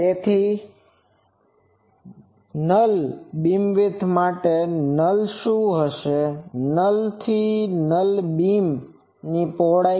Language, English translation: Gujarati, So, what will be the null to null beam width; null to null beam width